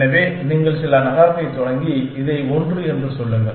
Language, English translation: Tamil, So, you start the some city, let say this one